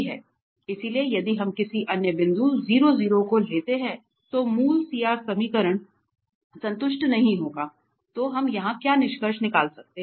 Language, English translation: Hindi, So, if we take any other point then the origin then 0 0 then the CR equations are not satisfied, then what we can conclude here